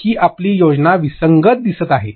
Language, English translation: Marathi, Your scheme looks inconsistent